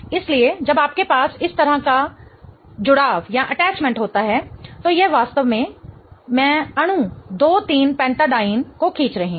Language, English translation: Hindi, So, when you have an attachment like that, this is in fact I am drawing the molecule 2 3 pentadine